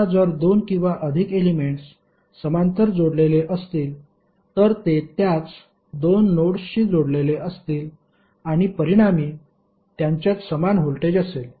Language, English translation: Marathi, Now if there are two or more elements which are connected in parallel then they are connected to same two nodes and consequently have the same voltage across them